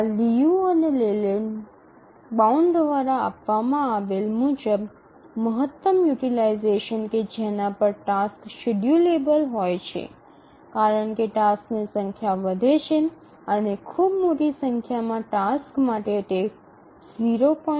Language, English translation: Gujarati, As given by this Liu and Leyland bound, the maximum utilization at which the tasks become schedulable falls as the number of tasks increases and for very large number of tasks it settles at around 0